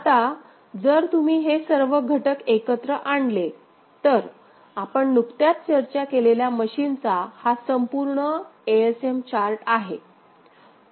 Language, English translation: Marathi, Now, if you bring all those components together so, this is the full ASM chart of that machine that we have just discussed, is it fine